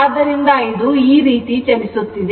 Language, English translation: Kannada, So, it is moving like this right